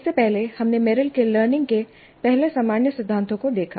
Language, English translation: Hindi, Earlier to that, we looked at Merrill's general first principles of learning